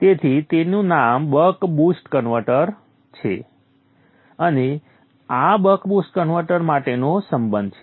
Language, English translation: Gujarati, 5 hence the name buck boost converter and this is the relationship for the buck boost converter